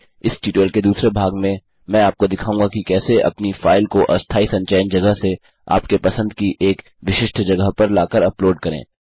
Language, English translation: Hindi, In the second part of this tutorial Ill show you how to upload your file by moving it from the temporary storage area to a specified area of your choice